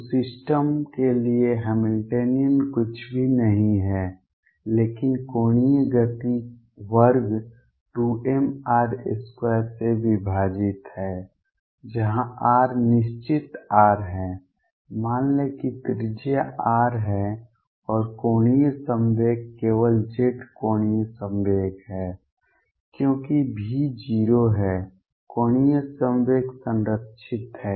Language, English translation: Hindi, So, the Hamiltonian for the system is nothing, but the angular momentum square divided by 2 m r square where r is fixed r is let us say the radius is given to be r and angular momentum is only z angular momentum because V is 0 angular momentum is conserved